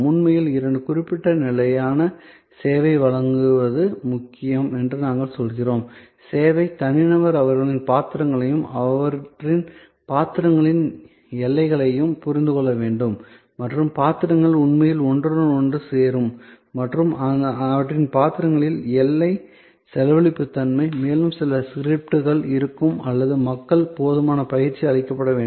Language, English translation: Tamil, And therefore, we actually say that two deliver a certain consistent level of service it is important that the service personal understand their roles and the boundaries of their roles and where the roles will actually overlap and the boundary spending nature of their roles and there will be some scripts and there should be enough training provided to people